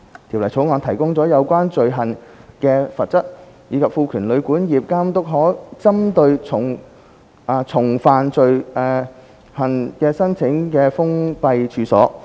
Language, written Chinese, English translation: Cantonese, 《條例草案》提高了有關罪行的罰則，以及賦權監督可針對重犯罪行的處所申請封閉令。, The Bill increases the penalties of the offence concerned and empowers the Authority to apply to the court for the repeated offence in respect of the same premises to issue a closure order